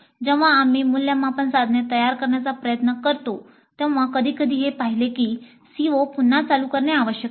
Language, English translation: Marathi, When we try to create the assessment instruments, sometimes it is possible to see that the CO needs to be revisited